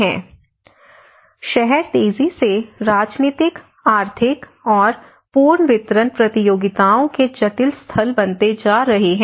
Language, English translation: Hindi, (Video Start Time: 24:37) Cities are increasingly becoming complex site of political economic and redistribution contestations